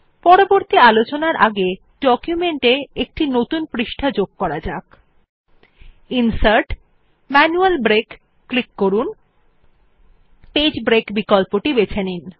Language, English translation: Bengali, Before proceeding further, let us add a new page to our document by clicking Insert gtgt Manual Break and choosing the Page break option